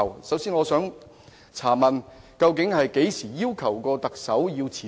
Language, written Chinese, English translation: Cantonese, 首先我想問，究竟他們何時要求過特首辭職？, First may I ask when they have demanded the Chief Executive to resign?